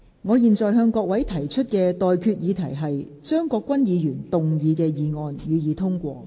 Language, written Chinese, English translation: Cantonese, 我現在向各位提出的待決議題是：張國鈞議員動議的議案，予以通過。, I now put the question to you and that is That the motion moved by Mr CHEUNG Kwok - kwan be passed